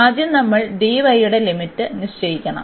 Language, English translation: Malayalam, So, first we have to fix the limit for y here